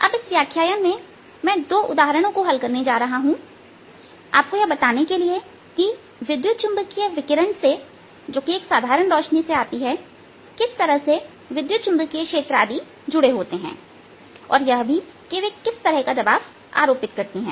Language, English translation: Hindi, now in this lecture i am going to solve two examples to give you an idea what the kind of electromagnetic fields, etcetera are related with electromagnetic radiation coming out of, of ordinary light, or also what kind of pressure to they apply